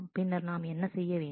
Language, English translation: Tamil, And then what we will have to do